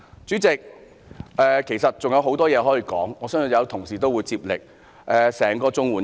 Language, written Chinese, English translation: Cantonese, 主席，要說的其實還有很多，我相信同事會接力發言。, President there is still a lot to say and I believe colleagues will take over the baton to talk about them